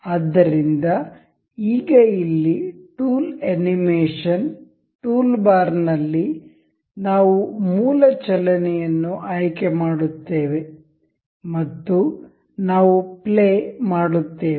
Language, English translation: Kannada, So, now here in the tool animation toolbar, we will select basic motion, and we will play